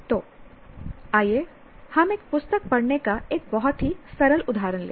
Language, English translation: Hindi, So let us take a very simple example of reading a book